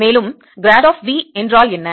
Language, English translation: Tamil, and what is grad of v